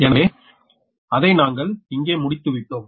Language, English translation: Tamil, so where we just finished that one, that